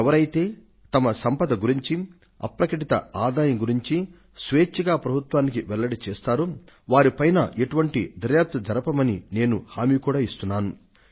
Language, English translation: Telugu, I have also promised that for those who voluntarily declare to the government their assets and their undisclosed income, then the government will not conduct any kind of enquiry